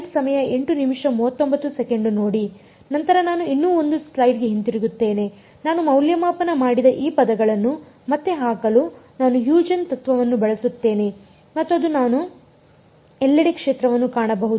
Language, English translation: Kannada, Then I go back even 1 more slide I use Huygens principle to put back these terms which I have evaluated and I can find the field everywhere